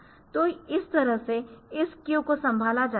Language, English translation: Hindi, So, that way this queue is handled